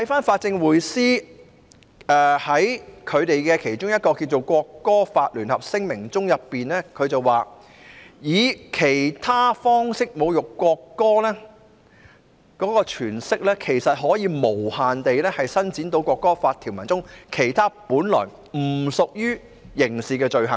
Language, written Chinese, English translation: Cantonese, 法政匯思在其發出的"國歌法聯合聲明"中提到，"以其他方式侮辱國歌"的詮釋，其實是可以無限延伸到《國歌法》中其他本來不屬於刑事的罪行。, In its Joint Statement on Local Legislation for the National Anthem Lawthe Progressive Lawyers Group said that the scope of insulting the national anthem in any other manner can be open to boundless interpretation to encompass other non - criminal acts in the National Anthem Law